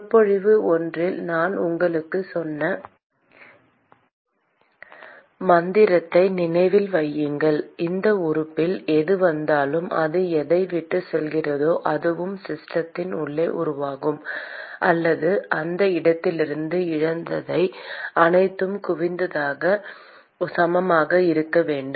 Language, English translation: Tamil, Remember the mantra I told you in one of the lectures: whatever comes in in this element, whatever it leaves plus whatever is generated inside the system or whatever is lost from that location should be equal to accumulation